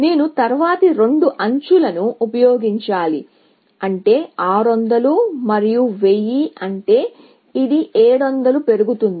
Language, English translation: Telugu, I have to use the next two edges, which means 600 and 1000, which means, this will go up by 700